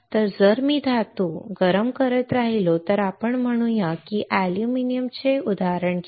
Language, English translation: Marathi, So, if I keep on heating a metal let us say take an example of aluminum right